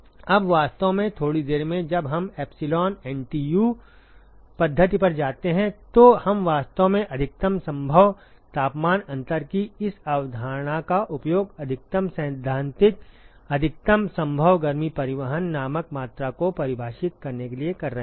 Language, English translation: Hindi, Now in fact in a short while we are right when we go to epsilon NTU method we actually be using this concept of maximum possible temperature difference to define a quantity called maximum theoretical, maximum possible heat transport